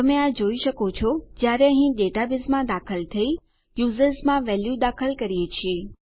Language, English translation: Gujarati, You can see this when we enter our database here and insert a value into users